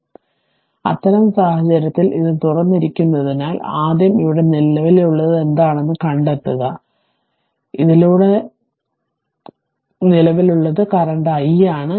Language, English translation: Malayalam, So, in that case, it is open so first you find out what is the current here, so current through this is i